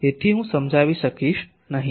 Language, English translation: Gujarati, Why I will not be able to explain